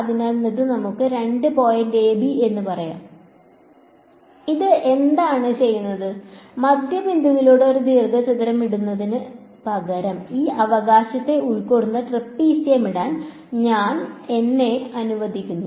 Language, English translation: Malayalam, So, this is let us say the 2 points a and b what does it do is say is instead of putting a rectangle through the midpoint, I let me put trapezium that covers this right